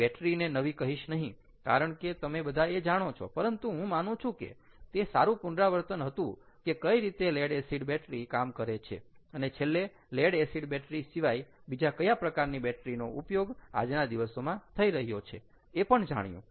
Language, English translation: Gujarati, i wont say battery is new, because [laughter] you all know about it, but i thought, ah, i hope it was a good recap ah of how a lead acid battery functions, ah and and to and for us to know that, apart from lead acid, what are the other types of batteries that are being used today